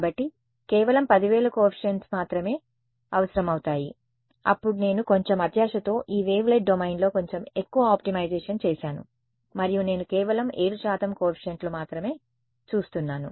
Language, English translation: Telugu, So, only 10000 coefficients were needed, then I got a little bit greedy I did a little bit more optimization within this wavelet domain and I look at only 7 percent coefficients